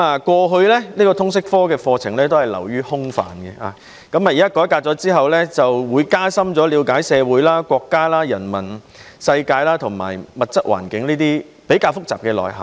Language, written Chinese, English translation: Cantonese, 過去通識科的課程流於空泛，改革後的通識科會讓學生加深了解社會、國家、人文世界和物質環境等較為複雜的內容。, In the past the curriculum of the LS subject was too vague . The reformed LS subject will enhance students understanding of the complexities of society the nation the human world the physical environment and related knowledge